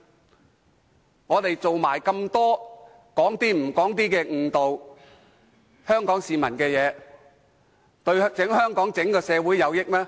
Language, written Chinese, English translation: Cantonese, 他們很多時只說出部分而非全部真相，誤導香港市民，對整個香港社會有益嗎？, They frequently tell part of the truth but not the whole truth and mislead Hong Kong people is it beneficial to Hong Kong as a whole?